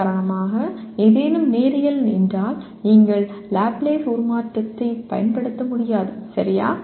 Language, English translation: Tamil, For example if something is nonlinear you cannot apply Laplace transform, okay